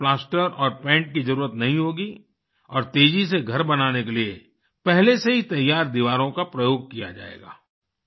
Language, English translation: Hindi, In this plaster and paint will not be required and walls prepared in advance will be used to build houses faster